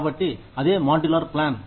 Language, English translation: Telugu, So, that is a modular plan